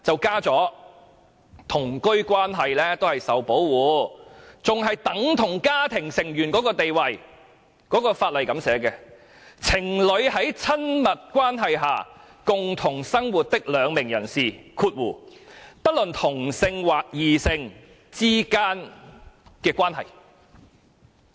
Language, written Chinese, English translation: Cantonese, 《家庭及同居關係暴力條例》訂明同居關係是指，"作為情侶在親密關係下共同生活的兩名人士之間的關係"。, Under the Domestic and Cohabitation Relationships Violence Ordinance a cohabitation relationship is defined as a relationship between 2 persons who live together as a couple in an intimate relationship